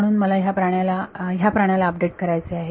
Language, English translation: Marathi, So, I want to update want to update this guy